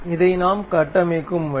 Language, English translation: Tamil, This is the way we construct it